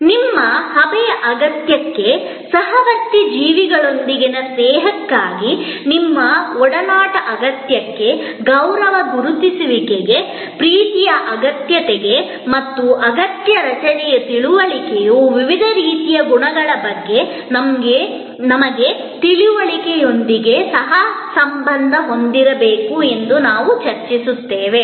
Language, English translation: Kannada, To your need of association to need of friendship with fellow beings to your need of a steam, to your need for respect recognition, love and that understanding of the need structure has to be co related with this our understanding of the different types of qualities that we discussed